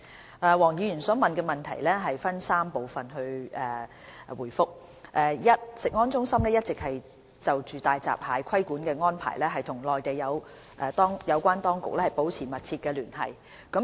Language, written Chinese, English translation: Cantonese, 就黃議員提出的質詢，我會分3部分答覆：一食安中心一直就大閘蟹規管的安排與內地有關當局保持密切聯繫。, Regarding the question asked by Mr WONG I will give my reply in three parts 1 CFS has been liaising closely with the Mainland authorities on the regulatory arrangement for hairy crabs